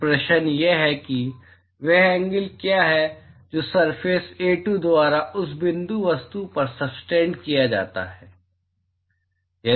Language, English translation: Hindi, So, the question is what is the angle that is subtended by this surface A2 on to that point object